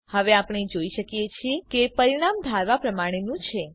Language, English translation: Gujarati, Now we can see that the result is as expected